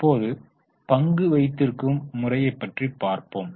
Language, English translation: Tamil, Now let us go to the shareholding pattern